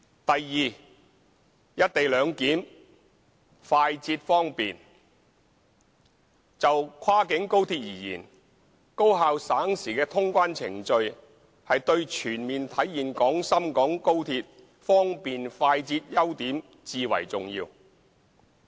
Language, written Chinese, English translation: Cantonese, b "一地兩檢"快捷方便就跨境高鐵而言，高效省時的通關程序對全面體現廣深港高鐵方便、快捷的優點至為重要。, b Co - location arrangement―a guarantee of speediness and convenience Efficient and time - saving clearance procedures are absolutely essential to realizing the full potential of XRL as a cross - boundary railway in terms of speed and convenience